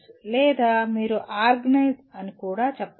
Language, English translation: Telugu, Or you can also say organize